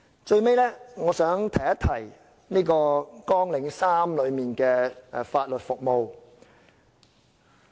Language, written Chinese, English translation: Cantonese, 最後，我想提一提綱領3法律服務。, Lastly I would like to mention Programme 3 Legal Service